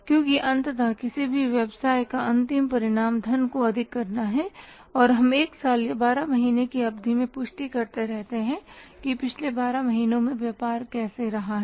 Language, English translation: Hindi, Because ultimately end result of any business is the maximization of the wealth and we keep on verifying over a period of say one year or 12 months that how the business is doing in the past 12 months